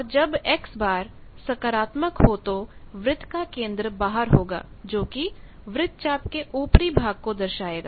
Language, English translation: Hindi, And when X bar is positive then circle center is outside so it shows that the arc is the upper half portion